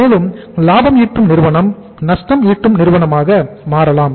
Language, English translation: Tamil, And profitmaking company can become a lossmaking company